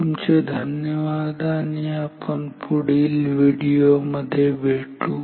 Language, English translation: Marathi, Thank you will meet in the next video